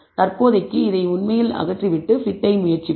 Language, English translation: Tamil, For the time being let us actually remove this and try the t